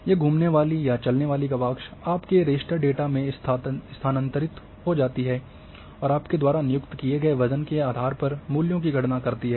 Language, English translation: Hindi, These roving or moving windows moved throughout your data raster data and calculate the value depending what kind of weight you have assigned